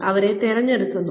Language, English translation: Malayalam, We select them